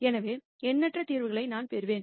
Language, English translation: Tamil, So, I will get infinite number of solutions